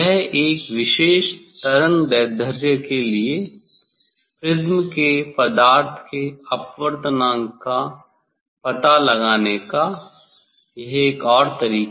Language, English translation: Hindi, for; this is another way to find out the refractive index of the material of the prism for a particular wavelength